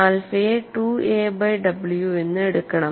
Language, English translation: Malayalam, Alpha is defined as 2 a divided by w